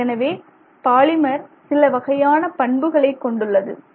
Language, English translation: Tamil, So the polymer itself will have some damping properties